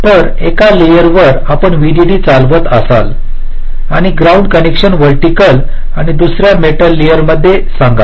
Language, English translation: Marathi, so on one layer you will be running the vdd and ground connection, say vertically, and, and in another metal layer